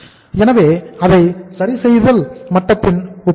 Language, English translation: Tamil, So we will compare it with the adjusting level